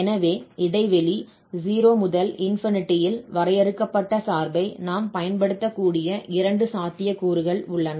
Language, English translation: Tamil, So, these are the two possibilities where we can make use of the function defined in the interval 0 to 8